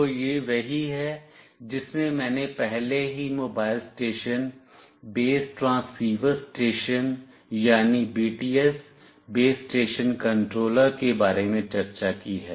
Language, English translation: Hindi, So, this is exactly what I have already discussed about Mobile Station, Base Transceiver Station that is the BTS, Base Station Controller